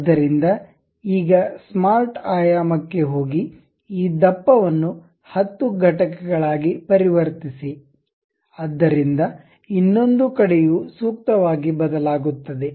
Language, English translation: Kannada, So, now go to smart dimension, maintain this thickness as 10 units; so other side also appropriately change